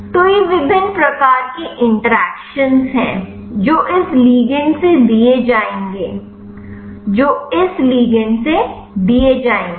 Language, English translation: Hindi, So, these are the different types of interaction which which will be given from this ligand, which will be given from this ligand